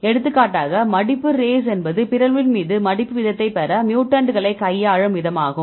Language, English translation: Tamil, For example, the folding race this will deal with the mutants to get the folding rate upon mutation